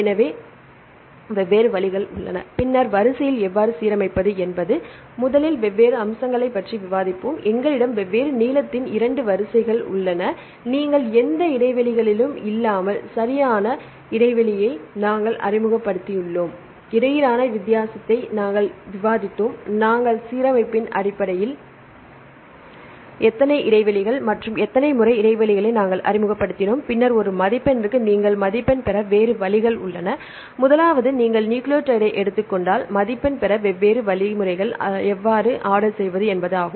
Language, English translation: Tamil, So, there are different ways, then how to align sequences we will discuss about different aspects first one; we have 2 sequences of different length right, you can align without any gaps and second aspect we introduced a gap right in different places right and the third we discussed the difference between the origination and the gap penalty; how many gaps and how many times we introduced gaps right based on that we aligned, then you for a scoring we have the other various ways to score; the first one is for the if you take nucleotide; this is a how to order different ways to score